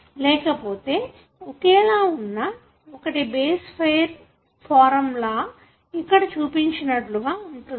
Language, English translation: Telugu, Otherwise they are identical and they can base pair and form like what is shown here